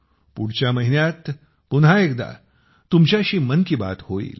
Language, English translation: Marathi, Next month, we will have 'Mann Ki Baat' once again